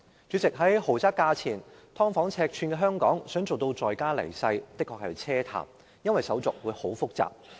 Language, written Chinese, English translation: Cantonese, 主席，在房屋為豪宅價錢、"劏房"尺寸的香港，想做到在家離世，的確是奢談，因為手續相當複雜。, President in Hong Kong where residential flats are priced as luxury flats but small like subdivided units dying in place is indeed an extravagant hope because the formalities are rather complicated